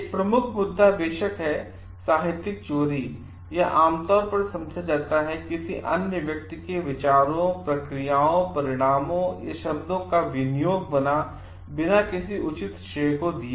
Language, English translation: Hindi, One of the major issue is of course, plagiarism it is generally understood to be the appropriation of another person s ideas, processes, results or words without giving any proper credit